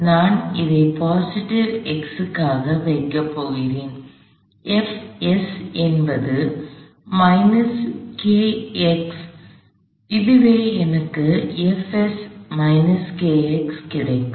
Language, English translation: Tamil, I am going to draw this likewise said in the positive x although it doesn’t matter